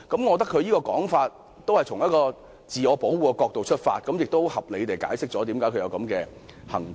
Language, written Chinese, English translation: Cantonese, 我認為，他這種說法是從自我保護的角度出發，合理地解釋了他現在的舉動。, In my view his remarks indicate that he is just trying to protect himself and reasonably explain his present move